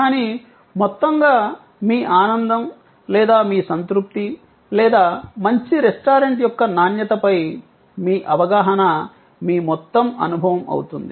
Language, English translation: Telugu, But, on the whole, your enjoyment or your satisfaction or your perception of quality of a good restaurant is the total experience